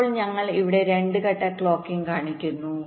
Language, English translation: Malayalam, ok, now here we show two phase clocking